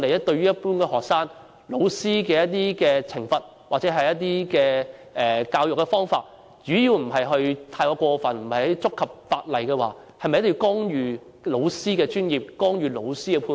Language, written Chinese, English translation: Cantonese, 對於一般學生，老師的一些懲罰或教育方法只要不是太過分或違反法例，我們是否一定要干預老師的專業判斷？, For the case of students should we interfere in the professional judgment of teachers so long as the punishment or education approach has not gone too far or breached the law?